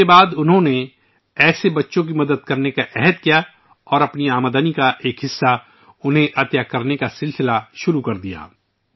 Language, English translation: Urdu, After that, he took a vow to help such children and started donating a part of his earnings to them